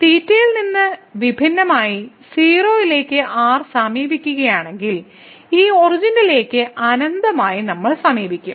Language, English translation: Malayalam, So, independent of theta, we if we approach r to 0; we will approach to infinite to this origin